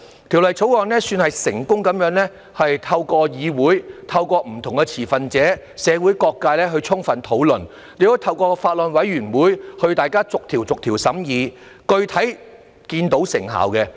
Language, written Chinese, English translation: Cantonese, 《條例草案》算是成功地透過議會、不同持份者及社會各界充分討論，亦透過法案委員會進行逐條審議，具體看到成效。, The Bill is considered to have been successfully and thoroughly discussed through the legislature by different stakeholders and people from various sectors of the community . Also through the Bills Committee it has been examined clause by clause and effects are explicitly seen